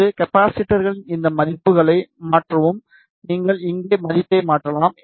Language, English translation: Tamil, And change these values of these capacitors you can change the value here